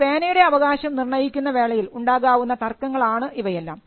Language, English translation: Malayalam, Now all these things are disputes with regard to title on the ownership of a pen